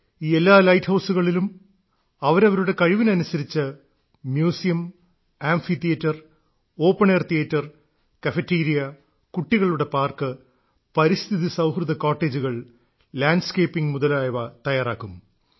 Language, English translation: Malayalam, In all these light houses, depending on their capacities, museums, amphitheatres, open air theatres, cafeterias, children's parks, eco friendly cottages and landscaping will bebuilt